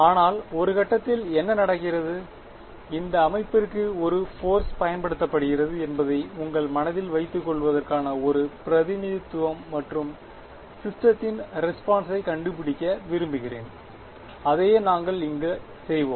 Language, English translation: Tamil, But its just a representation to keep in your mind that what is happening as one point there is a force being applied to this system and I want to find out the response of the system that is what we will doing over here